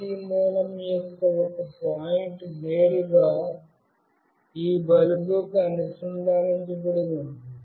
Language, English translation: Telugu, One point of the AC source will be directly connected to this bulb